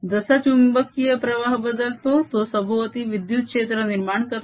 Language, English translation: Marathi, as the magnetic flux changes it produces an electric field going around